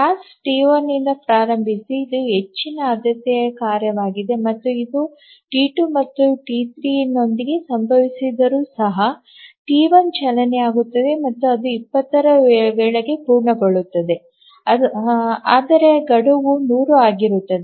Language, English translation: Kannada, T1 is the highest priority task and even if it occurs with T2, T3, T1 will run and it will complete by 20, whereas the deadline is 100